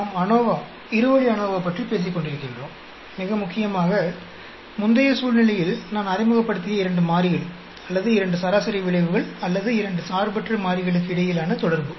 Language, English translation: Tamil, We are talking about ANOVA, two way ANOVA, and the most important point which I introduced in the previous situation is interaction between two variables or two mean effects or two independent variables